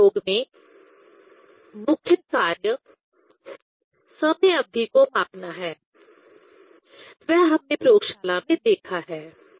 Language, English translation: Hindi, In this experiment, the main task is to measure the time period; that we have seen in the laboratory